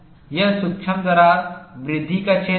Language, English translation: Hindi, This is the region of micro crack growth